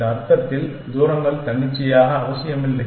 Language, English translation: Tamil, In the sense, distances are not necessarily arbitrarily